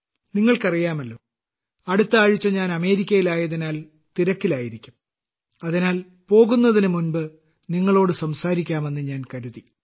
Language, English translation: Malayalam, All of you know, I'll be in America next week and there the schedule is going to be pretty hectic, and hence I thought I'd talk to you before I go, what could be better than that